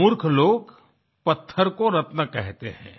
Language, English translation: Hindi, Imprudent people call stones as gems